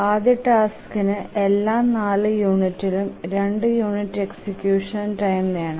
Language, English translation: Malayalam, The first task needs two units of execution time every four units